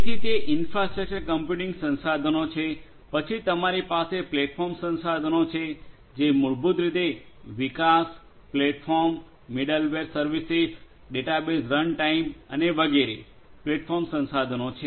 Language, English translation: Gujarati, So, that is the infrastructure computing resource, then you have the platform resource which is basically in the form of the development, platform, the middleware services, database runtime and so on the platform resources